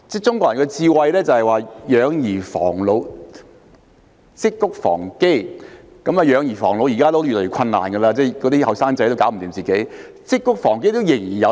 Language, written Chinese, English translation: Cantonese, 中國人有"養兒防老，積穀防饑"的智慧；"養兒防老"現時已經越來越困難，因為青年人也照顧不了自己，但"積穀防饑"這智慧仍然有用。, The Chinese have the wisdom of bringing up children to provide against old age and storing up grain to provide against famine . Bringing up children to provide against old age is becoming more and more difficult nowadays because young people cannot even take care of themselves but the wisdom of storing up grain to provide against famine is still useful